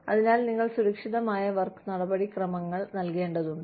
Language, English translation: Malayalam, So, you need to provide, safe work procedures